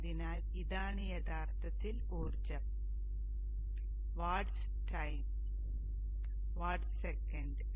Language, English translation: Malayalam, So this is actually the energy, vats into time, watt seconds